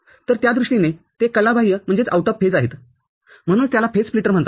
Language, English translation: Marathi, So, they are remain out of phase in that sense, that is why it is called phase splitter